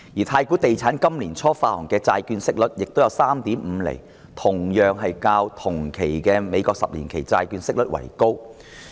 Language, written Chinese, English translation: Cantonese, 太古地產今年年初發行的債券息率也有 3.5 厘，同樣較同期的美國十年期債券息率為高。, The bond issued by Swire Properties at the beginning of this year at a coupon rate of 3.5 % is also higher than the 10 - year US Treasury yield for the same period